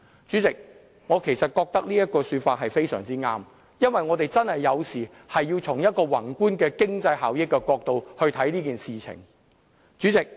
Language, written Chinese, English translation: Cantonese, 主席，我覺得這說法非常對，因為我們有時候真的要從宏觀的經濟效益的角度來看這件事情。, President I think his remark is very wise . Sometime we would need to consider this issue from a macro perspective and look into its economic benefits